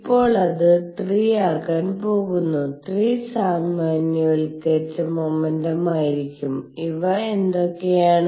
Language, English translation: Malayalam, So now, there are going to be 3, to be 3 generalized momenta and what are these